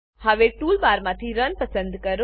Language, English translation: Gujarati, Now choose Run from the tool bar